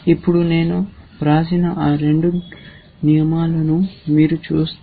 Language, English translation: Telugu, Now, if you look at that two rules that I have written